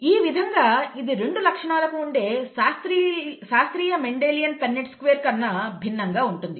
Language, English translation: Telugu, So this is different from the classic Mendelian Punnett square, for 2 characteristics